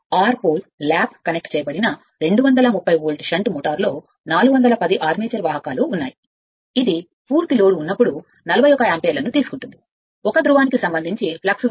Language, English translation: Telugu, A six pole lap connected 230 volt shun motor has 410 armature conductors, it takes 41 ampere on full load, the flux per pole is 0